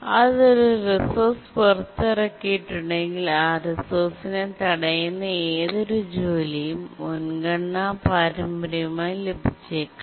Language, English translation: Malayalam, If it is released a resource, then any task that was blocking on that resource, it might have inherited the priority